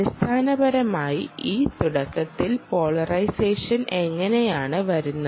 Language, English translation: Malayalam, basically, how is this initial polarization come about